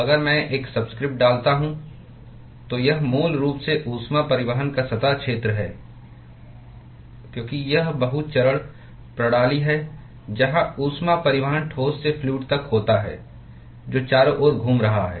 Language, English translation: Hindi, So, if I put a subscript s, it is basically the surface area of heat transport because it is multi phase system where the heat transport is from the solid to the fluid which is circulating around